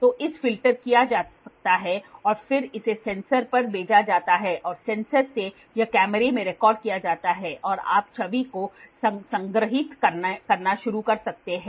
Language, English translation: Hindi, So, it can be done filter and then it is to the sensor and from the sensor it is recorded in the camera and you can start storing the image